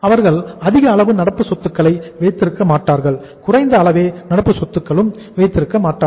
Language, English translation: Tamil, They would not be keeping high amount of current assets, not a low amount of current assets